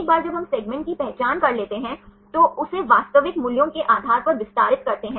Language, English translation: Hindi, Once we identify the segment then extend it based on the real values right